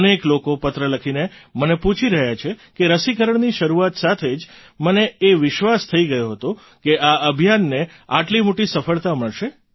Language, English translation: Gujarati, Many people are asking in their letters to me how, with the commencement itself of the vaccine, I had developed the belief that this campaign would achieve such a huge success